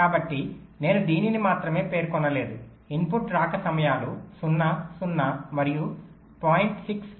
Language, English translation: Telugu, so i specify not only this, also i specify the input arrival times: zero, zero and point six